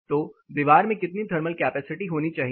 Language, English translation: Hindi, So, what capacity should the wall contain